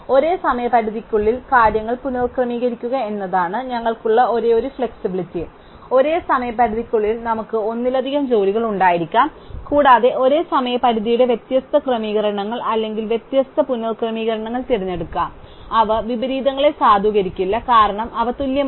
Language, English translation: Malayalam, The only flexibility we have is to reorder the things with the same deadline, we may have multiple jobs within the same deadline and we could pick different sequential iterations or different reordering of these same deadlines, they would not violate inversions, because they are equal